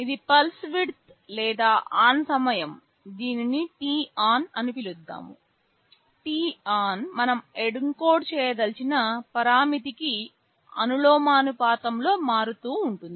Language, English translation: Telugu, This is the pulse width or the ON time let us call it t on; this t on is something we are varying in proportion to the parameter we want to encode